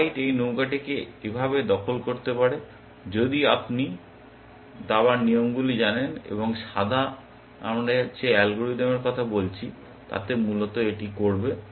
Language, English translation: Bengali, White can capture this rook like this, if you know the chess rules, and white, the game playing algorithm that we have been talking about will basically do this